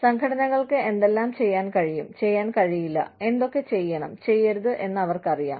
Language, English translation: Malayalam, They know, what organizations can and cannot do, should and should not do